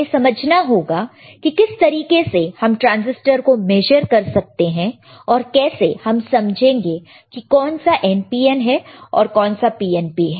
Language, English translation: Hindi, Again we have to understand how we can measure the transistors, how we can understand whether this is PNP transistor is the NPN transistor